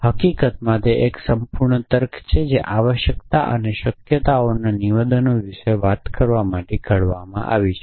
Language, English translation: Gujarati, So, in fact there is a whole logic which is devised to talk about statements of necessity and possibility essentially